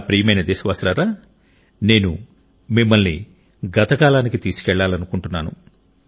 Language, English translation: Telugu, My dear countrymen, I want to transport you to a period from our past